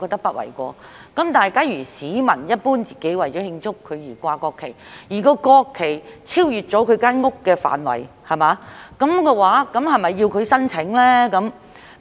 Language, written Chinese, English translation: Cantonese, 但是，假如市民只是自己為了慶祝而懸掛國旗，而該國旗超越了他的房屋範圍，這樣是否要他提出申請呢？, However if a citizen is only flying the national flag for his own celebration and the flag is beyond his flat does he have to apply for it?